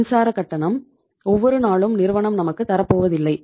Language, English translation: Tamil, Electricity supply, company is not going to give you the bill every day